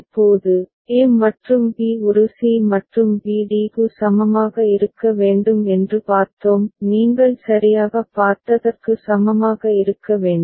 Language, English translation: Tamil, Now, we had seen that a and b to be equivalent a c and b d; need to be equivalent that you have seen right